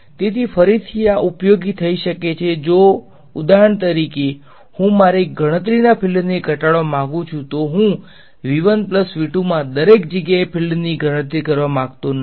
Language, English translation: Gujarati, So, again this is this can be useful if for example, I want to reduce the area of my computation I do not want to compute the fields everywhere in V 1 plus V 2